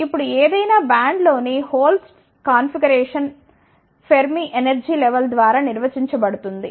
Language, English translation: Telugu, Now, the concentration of holes in any band is defined by the Fermi energy level